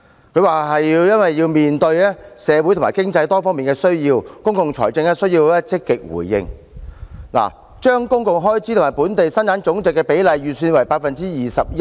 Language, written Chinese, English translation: Cantonese, 司長表示要"面對社會和經濟多方面的需要，公共財政也需要積極回應"，因此將公共開支與本地生產總值的比例稍為提高至 21%。, The Financial Secretary also said that it was necessary to be more proactive in managing public finances in the face of various development needs of society and the economy and thus he had slightly raised the ratio of public expenditure to GDP to 21 %